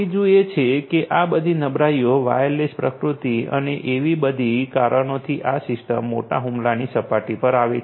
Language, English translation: Gujarati, Third is that because of this all these vulnerabilities, wireless nature and so on and so forth, these systems are exposed to large attack surfaces